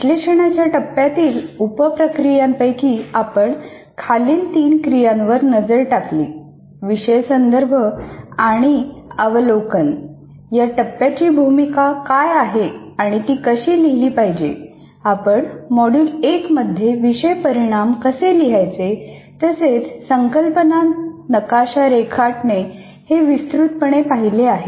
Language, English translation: Marathi, And among the various sub processes we looked at in the analysis phase, course context and overview, what is its role and how it should be written, and writing the course outcomes, which we have addressed in the module 1 extensively and then also drawing a kind of a what we call as a concept map